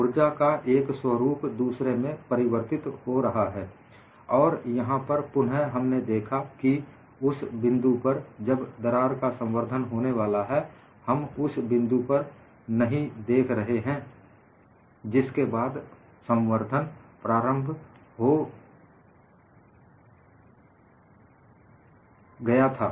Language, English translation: Hindi, One form of energy turns into another form, and here again, we look at the point when the crack is about to propagate; we are not looking at the instance after it has started propagating